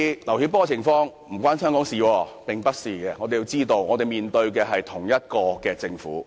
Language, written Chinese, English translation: Cantonese, 我們必須明白，我們面對的是同一個政府，我們面對的是同一個中央政府。, We must understand that we are facing the same Government . We are facing the same Central Government